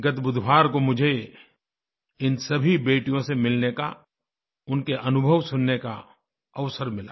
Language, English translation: Hindi, Last Wednesday, I got an opportunity to meet these daughters and listen to their experiences